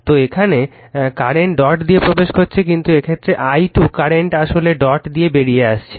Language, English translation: Bengali, So, here current is entering dot, but in this case the i 2 current is current actually leaving the dot right